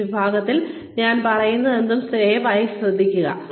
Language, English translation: Malayalam, Please listen to everything, I say, in this section